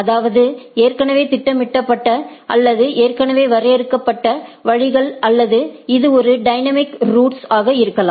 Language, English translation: Tamil, That means, already programmed or already defined routes or it can be a dynamic routes